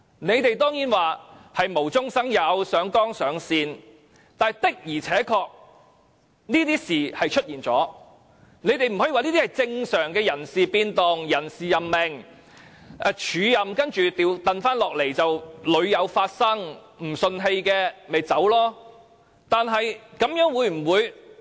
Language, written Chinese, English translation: Cantonese, 你們當然可以說這是無中生有、上綱上線，但事情的而且確出現了，實在不可以說這是正常的人事變動、人事任命，署任後恢復舊職的安排屢有發生，若不服氣大可辭職。, You may of course take these as fabricated rumours and exaggerated and prejudiced allegations but things really happened and no one can say that these are normal personnel changes and personnel appointments and that arrangements made for an acting officer to take up hisher original post again are not uncommon and those who feel aggrieved are free to resign